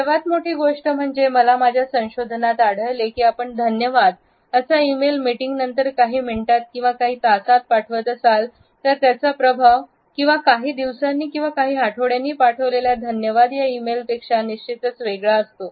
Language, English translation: Marathi, One of the greatest things, I found in my research is that if you send a thank you e mail within a few minutes or an hour of the meeting versus a few days or week later there is a significant difference in how people feel connected to that thank you